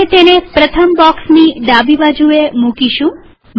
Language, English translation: Gujarati, We will place it to the left of the first box